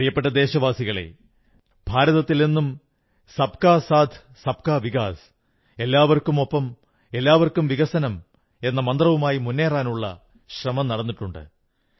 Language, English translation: Malayalam, My dear countrymen, India has always advanced on the path of progress in the spirit of Sabka Saath, Sabka Vikas… inclusive development for all